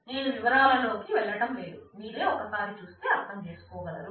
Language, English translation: Telugu, So, I will not go through the details you can just go through this and understand that